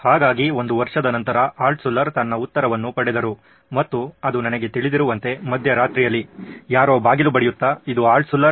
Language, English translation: Kannada, So a year later he did Altshuller did get his reply and I am guessing it was in the middle of the night somebody knocking at the door